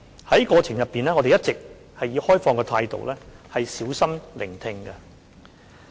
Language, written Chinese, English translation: Cantonese, 在過程中，我們一直以開放的態度小心聆聽。, In the consultation we listened attentively with an open attitude